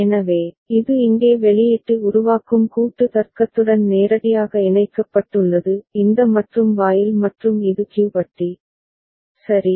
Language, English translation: Tamil, So, this is connected directly to the output generating combinatorial logic over here this AND gate and this is Q bar, right